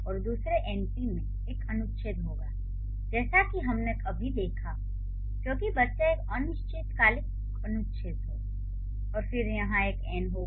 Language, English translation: Hindi, And the second np will have an article as we have just seen the child because er is an indefinite article and then here it will have an n